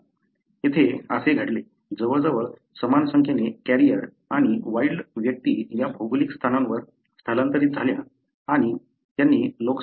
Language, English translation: Marathi, So, it so happened here, almost equal number ofcarriers and individuals having wild type migrated to thisgeographical location and they seeded the population